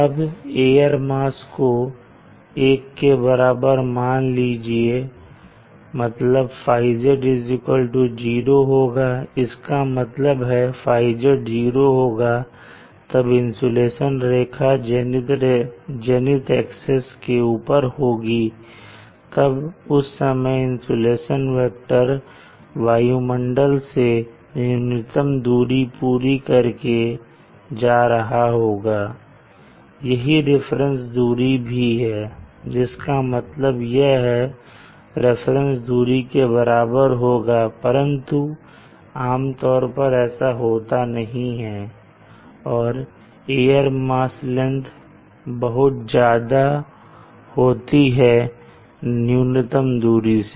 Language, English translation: Hindi, z is 0 degrees what it means is that theta that is zero Degree this insulation line is in line with the zenith axis which means it is directly overhead during that time the insulation vector passes through minimum distance through the atmosphere and, and that is the reference distance but normally that is not what happens the air mass length is much more the path length is much more than the minimum distance